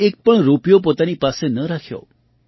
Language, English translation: Gujarati, He did not keep even a single rupee with himself